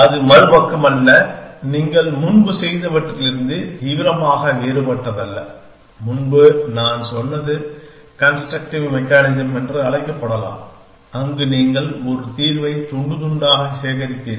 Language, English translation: Tamil, It is not other side; well not radically different from what you have doing earlier the earlier my said could be called as constructive mechanism where you assemble a solution piece by piece